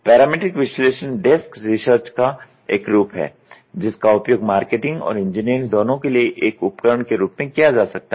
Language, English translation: Hindi, Parametric analysis is a form of a desk research that can be used as a tool for both marketing and engineering